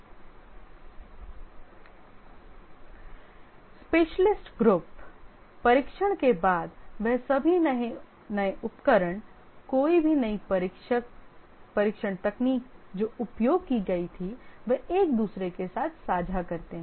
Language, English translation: Hindi, The specialist groups, since the testers are all there, any new tool, any new testing technology, they share with each other